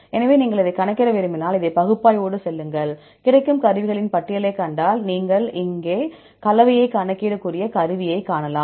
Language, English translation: Tamil, So, if you want to get it to calculate, go with this analysis, if you see a list of tools available, and here you can see the tool which can calculate the composition